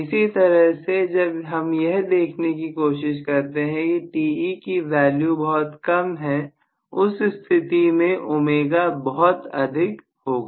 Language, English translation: Hindi, Similarly, if I try to look at when Te is very small, omega is very very large